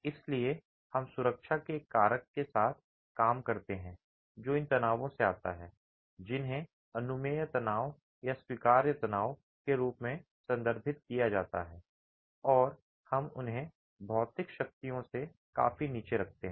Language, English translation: Hindi, So, we work with a factor of safety that comes from these stresses referred to as the permissible stresses or the allowable stresses and we keep them significantly below the material strengths